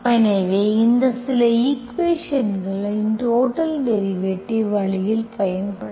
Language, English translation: Tamil, So this way, so some equations you can make use of this, total derivative